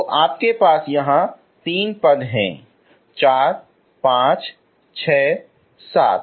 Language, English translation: Hindi, So you have three terms here four, five, six, seven, okay